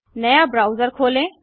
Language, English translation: Hindi, Open a new browser